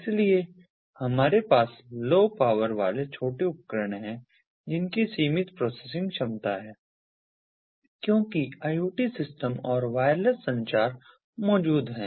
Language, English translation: Hindi, so we have low power, small devices, limited processing capability, as is typical of iot systems, and wireless communication being present